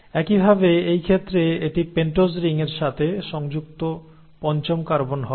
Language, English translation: Bengali, Similarly in this case this will be the fifth carbon attached to the pentose ring